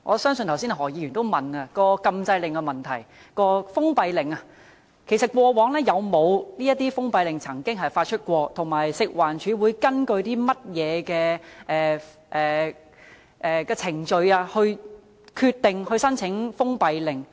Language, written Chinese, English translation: Cantonese, 剛才何議員也問及封閉令的做法，我想問局長，過往曾否發出封閉令，以及食環署會根據甚麼程序決定申請封閉令？, Just now Mr HO also asked about the practice of applying for a closure order . May I ask the Secretary whether any closure order was issued in the past and according to what procedure FEHD will decide to apply for a closure order?